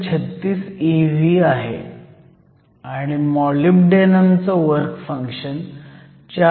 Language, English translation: Marathi, The work function of the molybdenum is 4